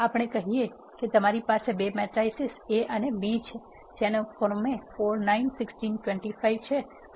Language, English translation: Gujarati, Let us say you have two matrices A and B which are 4 9 16 25, and 2 3 4 5 respectively